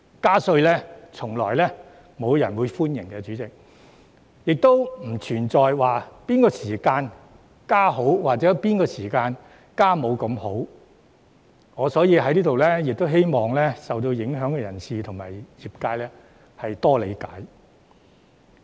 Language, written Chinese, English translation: Cantonese, 代理主席，從來沒有人歡迎加稅，亦不存在哪個時間適宜加稅或哪個時間加稅沒那麼好，所以我希望受影響的人士和業界能夠理解。, Deputy President tax increase has never been welcomed and it is not a question of whether the time is appropriate for tax increase . I therefore beg for the understanding of the affected people and industries